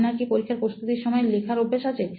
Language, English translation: Bengali, And do you have the habit of writing while you are preparing for exam